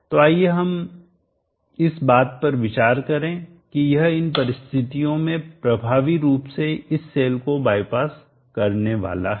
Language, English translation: Hindi, So let us consider for now that this is effectively going to by pass this cell, under such condition